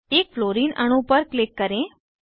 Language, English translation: Hindi, Click on one Fluorine atom